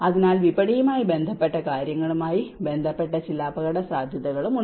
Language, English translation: Malayalam, So, there are also some risks associated to the market related things